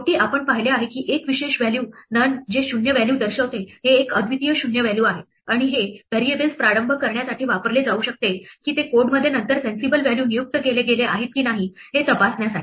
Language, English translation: Marathi, Finally, we have seen that there is a special value none which denotes a null value, it is a unique null value and this can be used to initialize variables to check whether they have been assigned sensible values later in the code